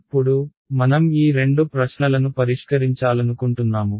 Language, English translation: Telugu, Now, we want to solve these two questions right